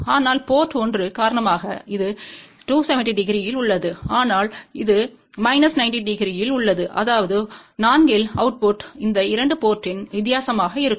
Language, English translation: Tamil, But because of the port 1 this is at 270 degree, but this is at minus 90 degree so; that means, output at 4 will be the difference of these 2 port